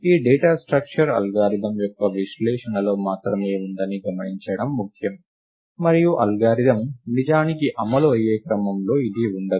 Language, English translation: Telugu, It is important to observe that this data structure is present, only in the analysis of the algorithm, and the algorithm indeed does not run in this order